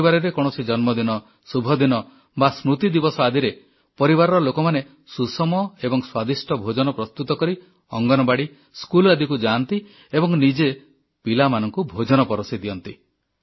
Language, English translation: Odia, If the family celebrates a birthday, certain auspicious day or observe an in memoriam day, then the family members with selfprepared nutritious and delicious food, go to the Anganwadis and also to the schools and these family members themselves serve the children and feed them